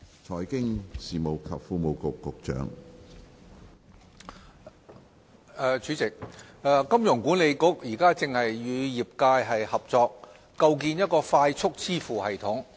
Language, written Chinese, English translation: Cantonese, 主席，一香港金融管理局現正與業界合作，構建快速支付系統。, President 1 The Hong Kong Monetary Authority HKMA is working with the industry to develop a Faster Payment System FPS